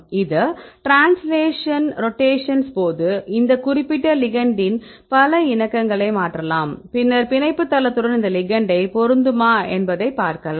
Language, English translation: Tamil, During these translation rotations, we can change several conformation of this particular ligand then you can see whether this ligand can fit with this binding site right fine